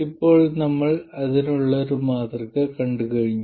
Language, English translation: Malayalam, Now we already have seen a model for this